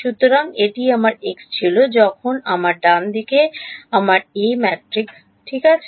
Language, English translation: Bengali, So, this was my x when I have my A matrix over here right